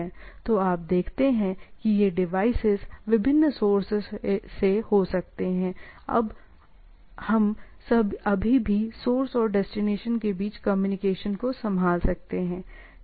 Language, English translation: Hindi, So, you see though these devices can be from different sources etcetera, that we can still handle a communication between source and destination, right